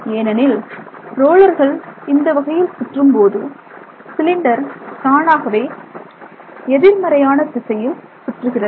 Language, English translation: Tamil, Naturally because the rollers rotate this way, the cylinder itself rotates in the opposite direction, right